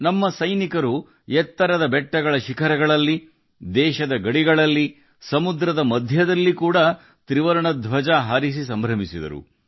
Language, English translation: Kannada, Our soldiers hoisted the tricolor on the peaks of high mountains, on the borders of the country, and in the middle of the sea